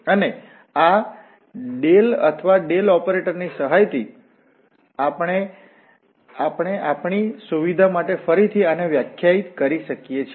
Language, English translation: Gujarati, And with the help of this nabla or Del operator we can again define this for our convenience